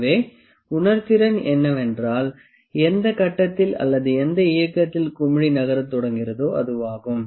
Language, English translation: Tamil, So, the sensitivity is that at what point at what movement does the bubble starts moving